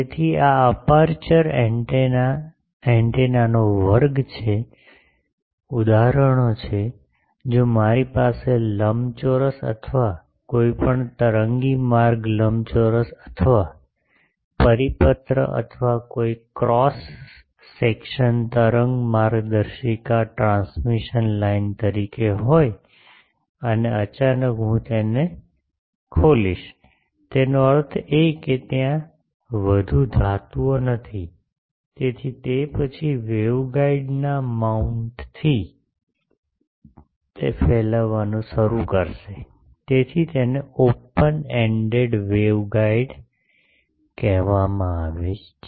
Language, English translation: Gujarati, So, this aperture antennas are a class of antennas, the examples are, if I have an rectangular or any waveguide rectangular or circular or any cross section wave guide as a transmission line and suddenly I open it; that means, there are no more metals, so it then from the mount of the waveguide, it will start radiating, so that is called open ended wave guide antenna